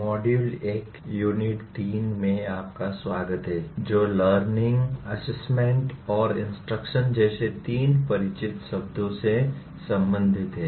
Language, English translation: Hindi, Welcome to the module 1 unit 3 which is related to three familiar words namely learning, assessment and instruction